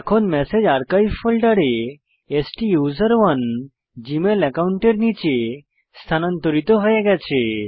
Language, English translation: Bengali, The message is moved to the Archives folder, under the STUSERONE Gmail account